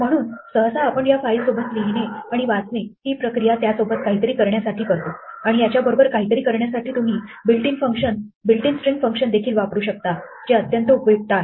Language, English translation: Marathi, So usually, you are reading and writing files in order to do something with these files, and to do something with this you can use built in string functions which are quite powerful